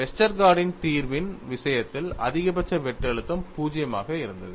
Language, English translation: Tamil, In the case of a Westergaard solution, the maximum shear stress was 0